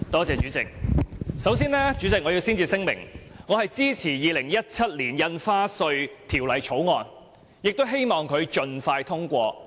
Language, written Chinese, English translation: Cantonese, 主席，我首先要聲明，我支持《2017年印花稅條例草案》，希望《條例草案》盡快獲得通過。, Chairman first of all I have to state clearly that I support the Stamp Duty Amendment Bill 2017 the Bill and look forward to its early passage